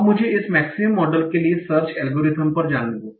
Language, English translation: Hindi, Now, let me go to the search algorithm for this Maxend model